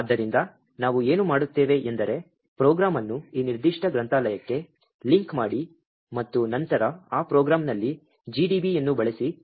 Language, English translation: Kannada, So, what we do is that, create a program link it to this particular library and then use GDB on that program